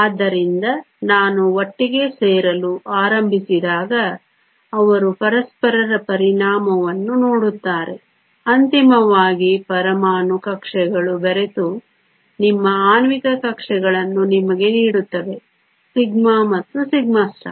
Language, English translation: Kannada, So, as I start to come together they will see the affect of each other ultimately the atomic orbitals will mix and give you your molecular orbitals sigma and sigma star